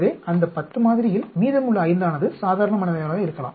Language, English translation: Tamil, So, the remaining 5 in that sample of 10 will be normal